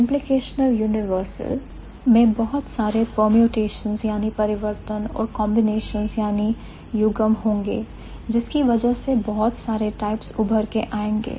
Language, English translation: Hindi, Implicational universal will have many permutations and combinations which is why many types will emerge